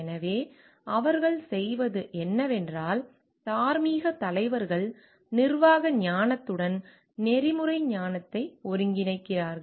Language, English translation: Tamil, So, what they do is, moral leaders integrate the ethics wisdom with the management wisdom